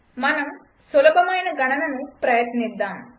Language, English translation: Telugu, Let us try some simple calculation